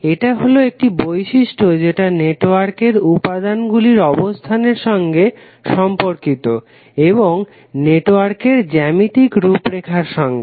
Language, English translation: Bengali, The property is which is relating to the placement of elements in the network and the geometric configuration of the network